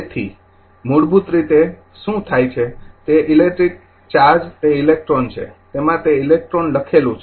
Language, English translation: Gujarati, So, basically what happen electrical charge that is electron say in that it were writing electron